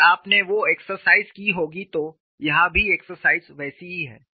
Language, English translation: Hindi, If you had done that exercise, here also the exercise is similar